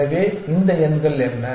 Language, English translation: Tamil, So, what are these numbers